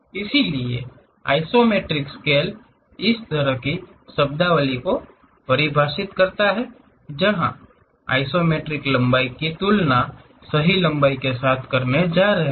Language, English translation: Hindi, So, this one is true length and this is the isometric length So, isometric scale actually defines such kind of terminology, where we are going to compare isometric lengths with the true lengths